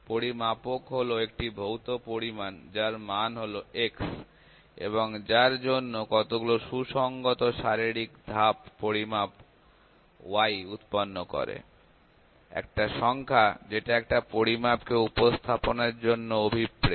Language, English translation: Bengali, Measurand is a physical quantity whose value of, x, is of interest and for which a well defined set of physical steps produce a measurement, y, a number that intended to represent a measurand